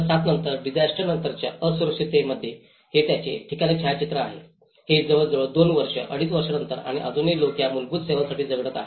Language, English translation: Marathi, Whereas, in post disaster vulnerability this is the photograph of the same place after 2007 which is after almost two years, two and half year and still people, still struggling for these basic services